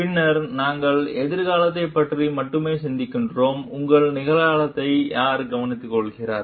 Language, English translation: Tamil, Then we think only of the future, and who takes care of your present